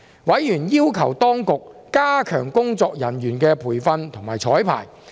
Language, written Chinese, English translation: Cantonese, 委員要求當局加強工作人員的培訓及綵排。, Members requested the Administration to strengthen training and the rehearsal process for staff